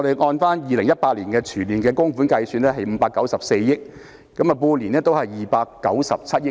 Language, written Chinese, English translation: Cantonese, 按照2018年全年供款計算，合共594億元，即半年297億元。, On the basis of the annual contributions in 2018 the total sum stands at 59.4 billion or a half - year total of 29.7 billion